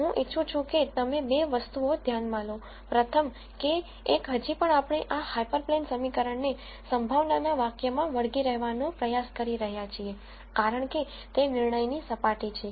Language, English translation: Gujarati, I want you to notice two things number one is still we are trying to stick this hyperplane equation into the probability expression because, that is the decision surface